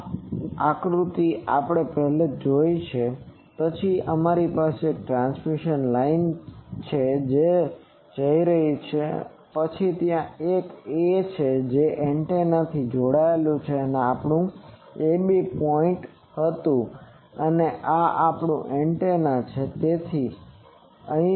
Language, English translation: Gujarati, This diagram we have seen earlier then we have a transmission line that is going and then there is a it is connected to antenna that was our ‘ab’ point and this is our antenna